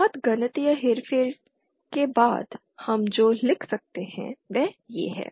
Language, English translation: Hindi, After lot of mathematical manipulation what we can write is